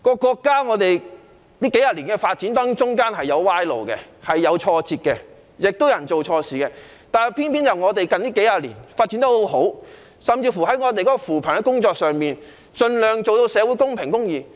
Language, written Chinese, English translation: Cantonese, 國家在發展的過程中，的確曾經走上歪路，遇上挫折，亦有人做錯事，但偏偏國家近幾十年發展得很好，在扶貧工作上盡量做到社會公平公義。, In the course of development our country indeed used to take the wrong path and suffer setbacks and there were people who committed mistakes . Contrary to expectations however our country has been faring quite well over the recent decades and in the area of poverty alleviation social equality and justice are upheld to a large extent